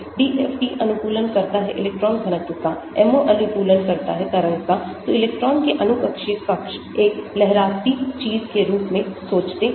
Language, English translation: Hindi, DFT optimizes the electron density, MO optimizes the waveform, so molecule orbital thinks of the electrons as a wavy thing